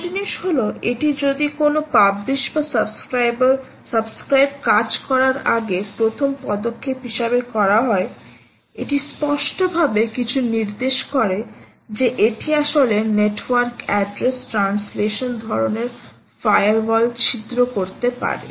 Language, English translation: Bengali, and the good thing has is if this is actually done as a first step, before you do any published, published subscribe or anything, it clearly indicates that this can actually pierce through network address translation kind of firewalls